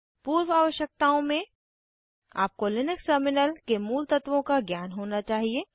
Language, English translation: Hindi, As prerequisites You should know Basics of linux terminal